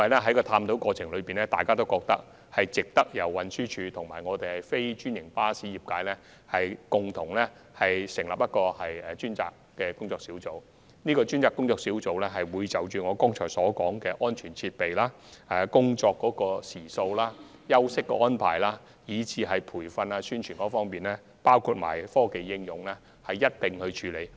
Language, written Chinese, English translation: Cantonese, 在探討過程中，大家皆認為應由運輸署及非專營巴士業界共同成立專責工作小組，而這個工作小組將會探討我剛才提及的安全設備、工作時數、休息安排、培訓及宣傳，以及科技應用等。, In the course of discussion various parties considered that TD and the non - franchised bus trade should jointly form a dedicated working group and this working group will explore the issues I mentioned a moment ago such as safety devices the number of working hours rest time arrangements training publicity and also the application of technologies